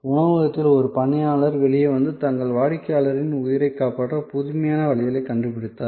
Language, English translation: Tamil, A waiter in the restaurant came out and devised innovative ways to save the lives of their customers